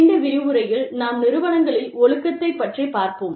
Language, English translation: Tamil, And, in this lecture, we will be dealing with, Discipline in Organizations